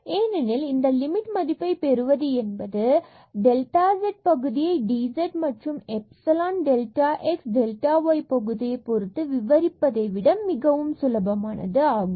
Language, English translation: Tamil, So, this we will go to 0, this also go to 0, and we have written this delta z in terms of this dz plus epsilon delta x plus epsilon delta y